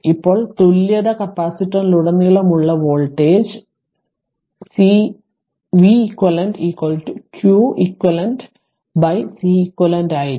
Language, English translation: Malayalam, Now the voltage across the equivalence capacitance is now v eq will be q eq upon C eq